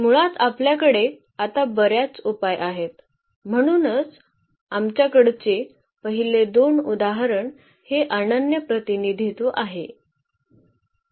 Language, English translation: Marathi, We have basically infinitely many solutions now so, this is a non unique representation in the first two examples we have a unique representation